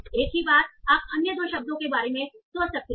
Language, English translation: Hindi, Same thing you can think about with the other two words